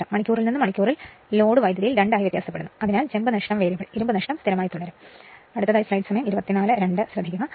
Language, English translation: Malayalam, And copper loss vary as square of the load current from hour to hour varies right so, copper loss variable, but iron loss will remain constant we will see when we take one example right